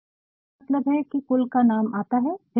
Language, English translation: Hindi, I mean the surname comes first then the name